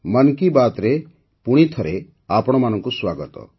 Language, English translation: Odia, Welcome once again to Mann Ki Baat